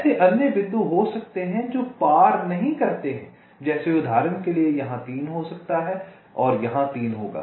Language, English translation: Hindi, also there can be other points which do not cross, like, for example, there can be a three here and a three here